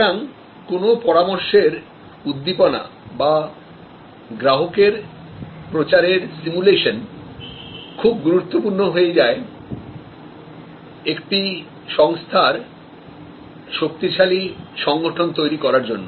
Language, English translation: Bengali, So, stimulation and simulation of customer advocacy becomes very important here creates strong organizational images